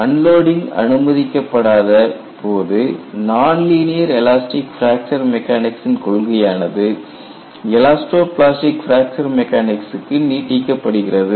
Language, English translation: Tamil, And you have also indirectly seen, if you avoid unloading, you can extend the concept of linear elastic fracture mechanics, non linear elastic fracture mechanics to elasto plastic fracture mechanics